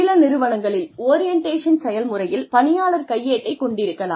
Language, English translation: Tamil, The orientation process can consist of, in some organizations, an employee handbook